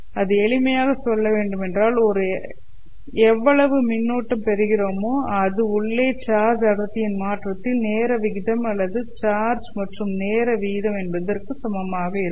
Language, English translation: Tamil, So it simply says that the amount of current that you are getting from a closed surface must be equal to the time rate of change of the charge density inside or the time rate of change of the charge inside